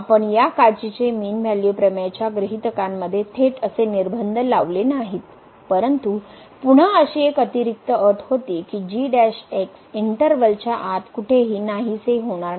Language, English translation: Marathi, We have not made such a restriction directly in the assumptions of this Cauchy mean value theorem , but again there was an additional condition that does not vanish anywhere inside the interval